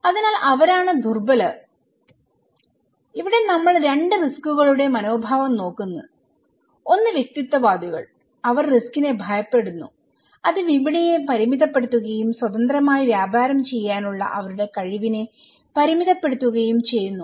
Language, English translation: Malayalam, So, they are the most vulnerable so here, we look at the attitude of 2 risk; one is individualistic, the fear risk that would limit the market and constraints their ability to trade freely